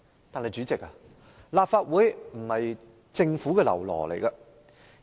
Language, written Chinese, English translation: Cantonese, 代理主席，立法會並非政府的嘍囉。, Deputy President the Legislative Council is not the Governments lackey